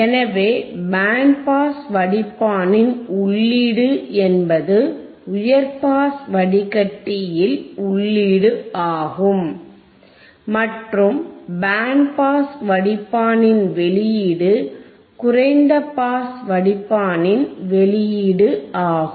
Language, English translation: Tamil, So, input of band pass filter is athe input to high pass filter and output of band pass filter is output tofrom the low pass filter